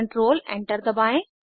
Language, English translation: Hindi, Press Control Enter